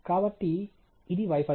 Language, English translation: Telugu, So, this is the failure